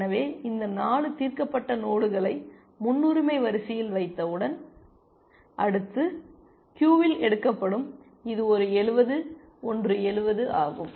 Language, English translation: Tamil, this 4 solved nodes in my, in the priority queue, the next node that will get picked is this one 70, one is 70